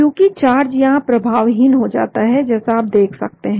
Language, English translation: Hindi, Because charger gets neutralized here, as you can see